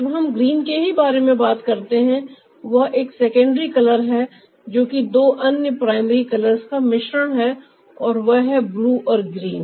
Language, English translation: Hindi, also, when we talk about green itself, that's a secondary color, that's a mixture of two other primary colors, and they are blue and green